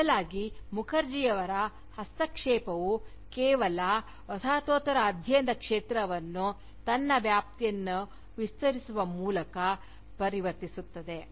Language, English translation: Kannada, Rather, Mukherjee’s intervention, merely transforms the field of Postcolonial studies, by expanding its ambit